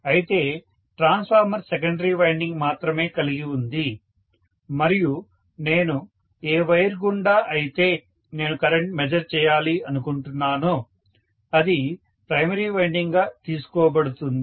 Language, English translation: Telugu, But the transformer has only a secondary winding and the wire through which I want to measure the current itself will be taken as the primary winding, right